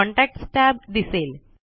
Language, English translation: Marathi, The Contacts tab appears